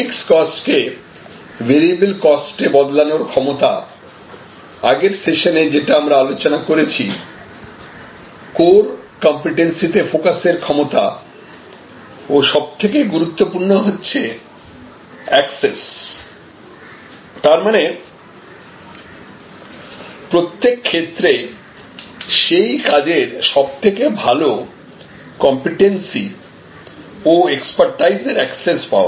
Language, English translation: Bengali, The ability to transform fixed costs into variable costs which we discussed in the last session, the ability to focus on core competencies and access, this is the most important part; access in each case the leading competency and expertise